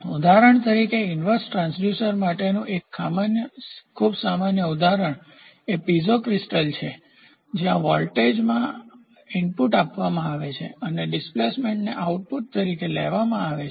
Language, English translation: Gujarati, For example a very common example for inverse transducer is a Piezo crystal where in the voltage is given as the input and displacement is taken as the output